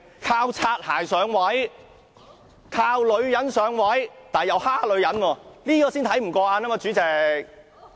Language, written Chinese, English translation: Cantonese, 靠"擦鞋"上位、靠女人上位，但又欺負女人，這才叫人看不過眼。, Someone attains a high position by bootlicking and relying on womens help yet he has been unkind to women . That is really disgusting